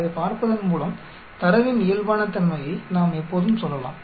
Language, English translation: Tamil, By looking at it we can always say normality of the data